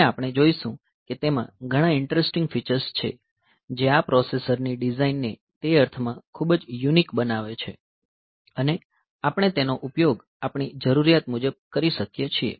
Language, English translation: Gujarati, And we will see that it has got many interesting features that make this processor design very unique in that sense, and we can use it as per our requirement